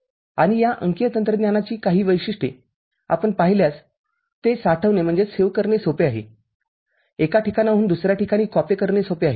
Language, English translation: Marathi, And some of the features of this digital technology, if you look at it, they are easy to store, they are easy to copy from one place to another